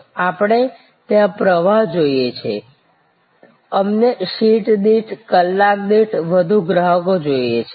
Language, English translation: Gujarati, There we want flow; we want more customers per seat, per hour